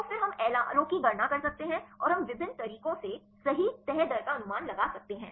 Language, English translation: Hindi, So, then we can calculate the LRO and we can predict the folding rate right with the various ways